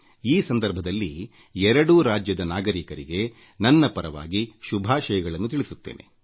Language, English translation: Kannada, On this occasion, many felicitations to the citizens of these two states on my behalf